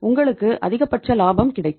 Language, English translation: Tamil, You will have the maximum profits